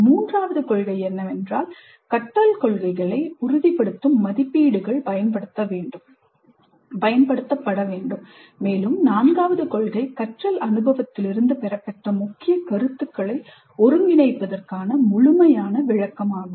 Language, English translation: Tamil, The third principle is that assessments that validate the learning goals must be used and the fourth principle is thorough debriefing to consolidate the key concepts gained from the learning experience